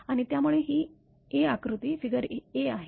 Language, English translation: Marathi, So, this is actually its figure a